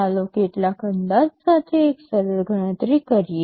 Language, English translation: Gujarati, Let us make a simple calculation with some approximation